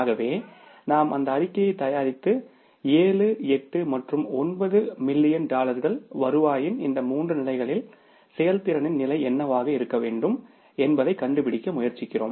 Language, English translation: Tamil, So, we prepared that statement and then we tried to find out that what is the what should be the level of performance at these three levels of the revenue that is 7, 8 and 9 million dollars